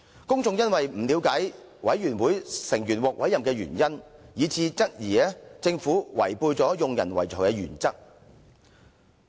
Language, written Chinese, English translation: Cantonese, 公眾因為不了解委員會成員獲委任原因，以致質疑政府違背用人唯才的原則"。, As members of the public failed to understand why certain members were appointed to various committees they queried if the Government has complied with the principle of meritocracy